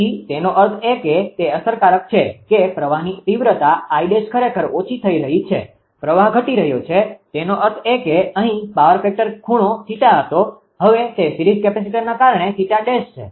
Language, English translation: Gujarati, So that means, this effective that current magnitude I dash current actually is decreasing; current is decreasing; that means, here power factor angle was theta, now it is theta dash because of series capacitor